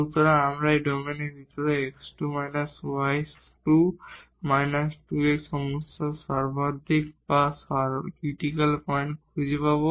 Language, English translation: Bengali, So, we will find the maximum or the critical points of the problem here x square minus y square minus 2 x inside this domain